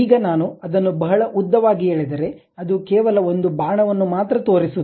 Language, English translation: Kannada, Now, if I draw it very long length, then it shows only one kind of arrow